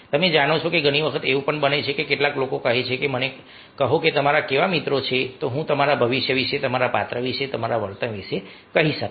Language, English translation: Gujarati, you know, many times it happens that some people say that just tell me what kind of friends you are, you have, i will tell about your future, about your ah character, about your behavior